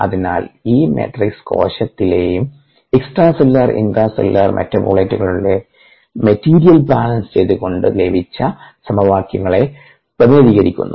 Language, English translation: Malayalam, therefore, this matrix represents the set of equations that we got by doing material balances on the various metabolites, on the cell, extracellular and intracellular